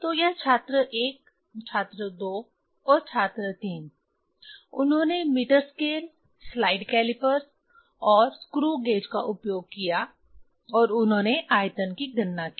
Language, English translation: Hindi, So, this student 1, student 2 and student 3, they used the meter scale, slide calipers and screw gauge and they calculated the volume